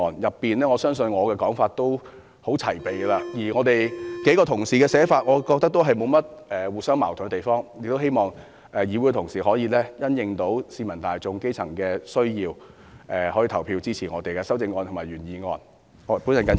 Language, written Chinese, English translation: Cantonese, 我相信我的修正案內容已相當齊備，而我認為幾位同事的修正案也沒有互相矛盾之處，因此，我希望同事可以因應基層市民的需要，投票支持我們的修正案和原議案。, I believe the content of my amendment is comprehensive and I think the amendments proposed by several colleagues are not contradictory to one another . Hence I hope Honourable colleagues will give regard to the needs of the grass roots and vote for our amendments and the original motion